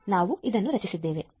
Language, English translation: Kannada, log so, we have generated this one